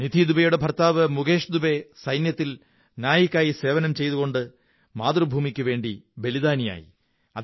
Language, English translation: Malayalam, Similarly, Nidhi Dubey's husband Mukesh Dubey was a Naik in the army and attained martyrdom while fighting for his country